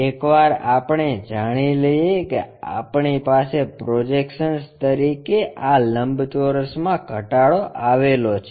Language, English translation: Gujarati, Once we know that we have this reduced rectangle as a projection